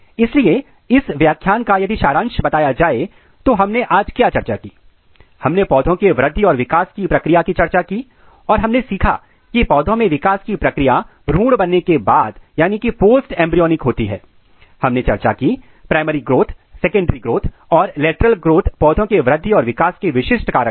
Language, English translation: Hindi, So, to summarize this lecture, so what we have discussed today, we have discuss the process of growth and development and what we learn that the process of development in case of plants are mostly post embryonic and we have discussed the primary growth, secondary growth and the lateral growths which are characteristic feature of plants growth and development and this all processes together ensures a proper plant architectures